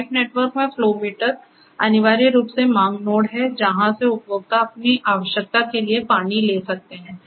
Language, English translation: Hindi, Flow meters in a pipe network is essentially the demand node from where consumers can take the water for their necessity